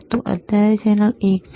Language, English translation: Gujarati, So, right now this is channel one,